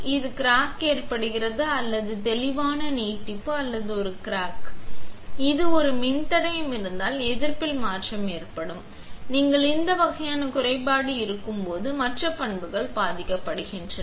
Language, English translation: Tamil, This crack will cause or clear extension or a crack will also cause the change in the resistance if it is a resistor; the other properties are also affected when you have this kind of defect